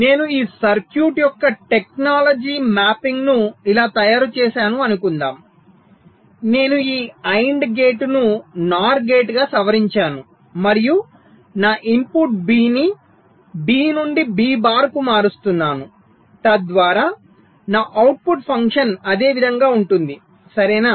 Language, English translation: Telugu, but suppose i make a technology mapping of this circuits like this, so that i modify this and gate into a nor gate, and i change my input b from b to b bar, such that my, my output function remains the same